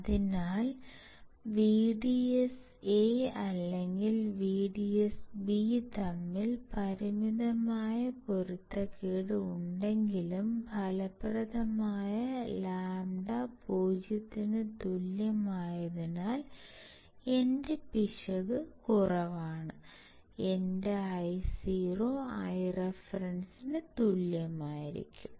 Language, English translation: Malayalam, So, even there is a finite mismatch between VDS1 or VDS N VDS b, since lambda effective equals to 0, my error is less, and my Io will be equals to I reference